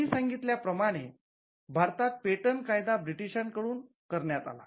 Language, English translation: Marathi, As we mentioned before, the patents act in India came as a British import